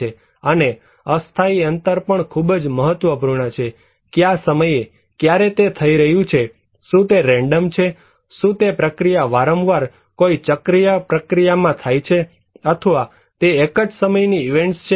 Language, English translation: Gujarati, And temporal spacing also very important; what time, when and it is happening, are they random, are they occurring in a cyclic process in a recurring process or they are one time events, so these are important features when we are dealing with hazards